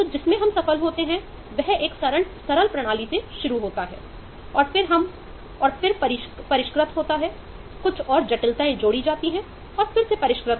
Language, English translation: Hindi, so what we what succeeds is starting with a simple system and then refine, add some more complexity and then refine again